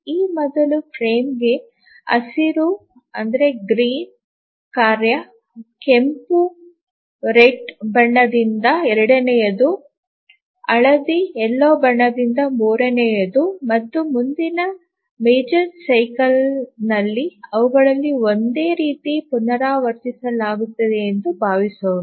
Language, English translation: Kannada, In the major cycle the tasks are assigned to frames let's say this green task to this first frame, a red one to the second, yellow one to the third and so on, and in the next major cycle they are repeated identically